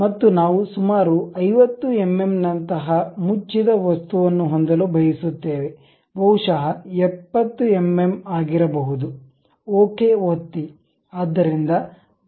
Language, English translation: Kannada, And what we would like to have is close the object something like some 50 mm, maybe something like 70 mm, click ok